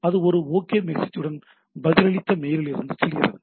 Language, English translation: Tamil, So, it goes from mail from it responded with a OK message